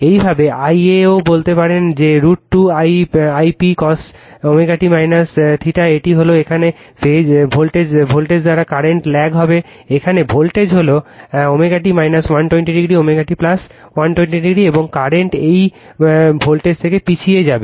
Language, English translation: Bengali, Thus, we can say i a also we can write that root 2 I p cos omega t minus theta, this is current will lag by your voltage here, voltage here it is omega t minus 120 degree, omega t plus 120 degree, and current will lag from this voltage